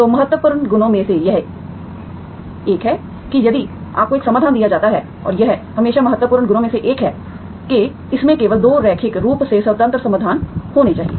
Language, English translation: Hindi, So one of the important properties is if you are given one solution and it always, one of the important properties is that it should have only 2 linearly independent solutions